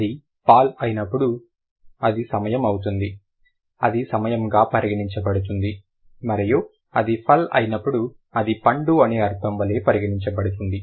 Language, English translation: Telugu, When it is pall it is going to be time, it is going to be considered as time and when it is pull it is going to be considered like the meaning is fruit